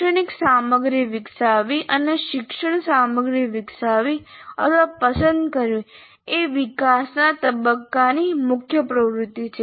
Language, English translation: Gujarati, And develop instructional materials and develop or select learning materials is the main activity of development phase